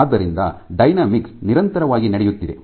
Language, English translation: Kannada, So, dynamics is continuously going on